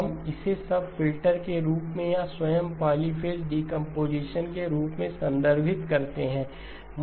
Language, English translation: Hindi, We refer to this as the subfilters or as the polyphase components themselves